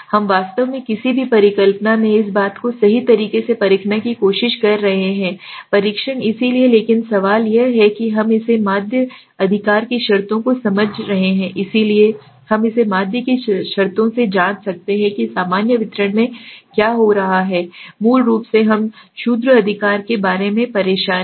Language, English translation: Hindi, We are trying to actually test this thing right, in any hypothesis testing so but the question is when we are taking understanding it from the terms of mean right, so we can check it from the terms of mean so what is happening in the normal distribution we said okay, basically we are bothered about the mean right